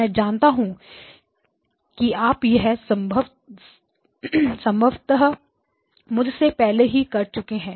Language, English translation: Hindi, I am sure you have already probably finished before me